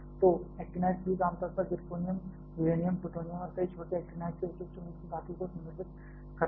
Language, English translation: Hindi, So, actinide fuel generally refers to typical alloy of zirconium, uranium, plutonium and several minor actinides